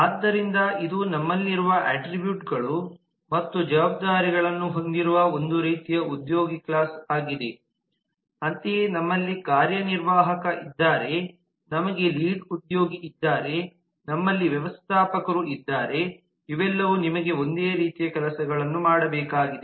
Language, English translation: Kannada, so this is a kind of employee class with attributes and responsibilities similarly we have executive, we have lead, we have manager all of these you need similar things to be done